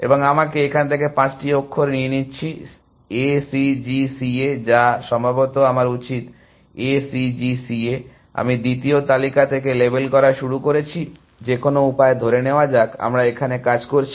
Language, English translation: Bengali, And let me take five characters from here, A C G C A, A C G C A or maybe I should, I have started labeling from the second listing, any way let us assume that, we are working here